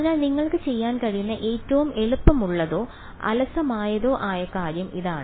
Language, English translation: Malayalam, So, this is the easiest or the laziest thing you could do alright